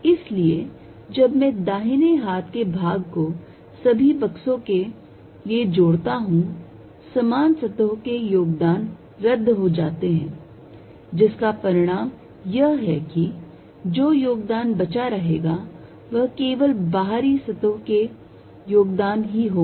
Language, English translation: Hindi, So, that the right hand part when I add over all boxes contribution from common surfaces will cancel with the result that the only contribute remain will be only from outside surfaces